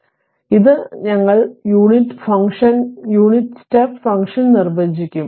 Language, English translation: Malayalam, So, this we will define the unit function your what you call the unit step function